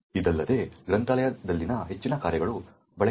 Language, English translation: Kannada, Furthermore, most of the functions in the library are unused